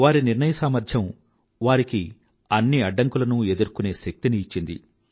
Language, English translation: Telugu, His decision making ability infused in him the strength to overcome all obstacles